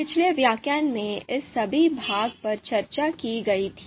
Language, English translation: Hindi, So all this part was discussed in the previous lectures